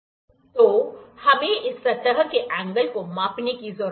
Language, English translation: Hindi, So, we need to measure the angle of this surface